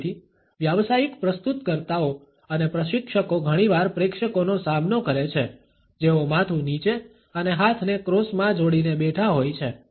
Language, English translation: Gujarati, So, professional presenters and trainers are often confronted by audiences who are seated with their heads down and arms folded in a cross